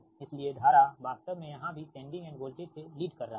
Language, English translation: Hindi, so current actually is leading, the sending end voltage here also